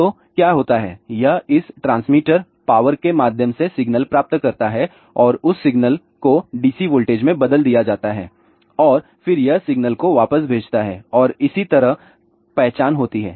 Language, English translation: Hindi, So, what happens, it gets the signal through this transmitter power and that signal is converted to dc voltage and then it sends back the signal and that is how the identification takes place